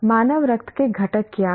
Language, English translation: Hindi, What are the constituents of human blood